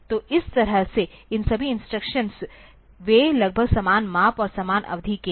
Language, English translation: Hindi, So, that way all these instructions they are of more or less same size and same duration